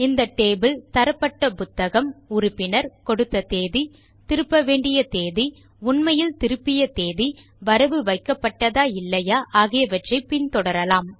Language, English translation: Tamil, This table will track the book issued, the member, date of issue, date of return, actual date of return, whether checked in or not